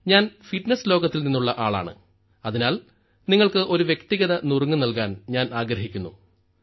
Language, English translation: Malayalam, I am from the world of fitness, so I would like to give you a personal tip